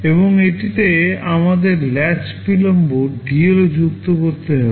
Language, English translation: Bengali, And to it we have to also add the latch delay dL